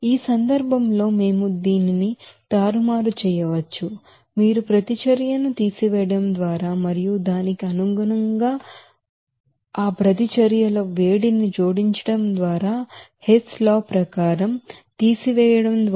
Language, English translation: Telugu, So in this case, we can manipulate this you know reaction just by subtracting and accordingly that heat of reactions just by adding, subtracting according to that Hess law